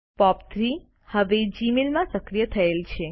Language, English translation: Gujarati, POP3 is now enabled in Gmail